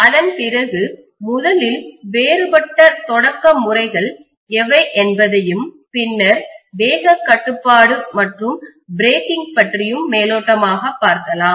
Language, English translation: Tamil, Then after that, we will be looking at starting what are all the different starting methods, and then we can look at speed control and very little bit about breaking